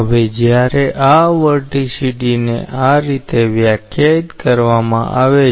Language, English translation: Gujarati, Now, this vorticity when it is defined in this way